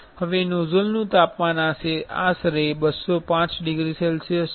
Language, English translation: Gujarati, Now, the nozzle temperature is around 205 degrees Celsius